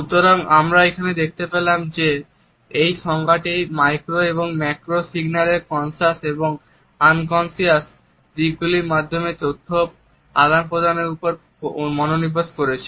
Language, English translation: Bengali, So, here we could find that this definition has concentrated on the communication of information through conscious as well as unconscious aspects of our micro and macro signals